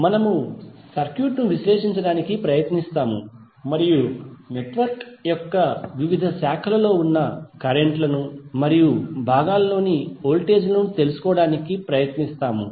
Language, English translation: Telugu, We will try to analysis the circuit and try to find out the currents which are there in the various branches of the network and the voltage across the components